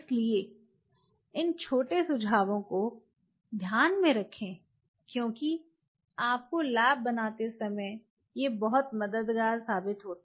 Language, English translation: Hindi, So, keep these small tips in mind to be very helpful once you make the lab